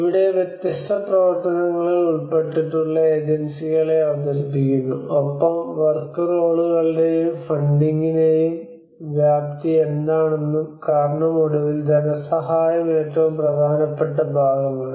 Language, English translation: Malayalam, Here the differences in function of agencies plays players involved and what is the scope of work roles and funding, because at the end of the day, funding is the most important part